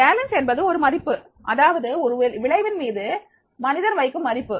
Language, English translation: Tamil, Valence is a value that a person places on an outcome